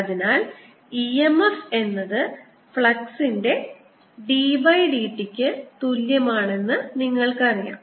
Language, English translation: Malayalam, so you know as such that e m f is equal to d by d t, the flux, the magnitude of e m f